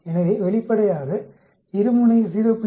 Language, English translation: Tamil, So obviously, two sided 0